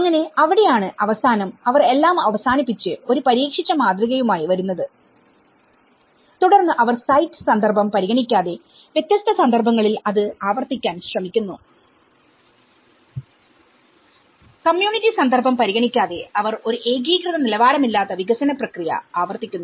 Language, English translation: Malayalam, So, that is where, so finally, they end up and coming up with a tested model and then they try to replicate it in different contexts irrespective of the site context, irrespective of the community context they end up replicating a uniform unstandardized development process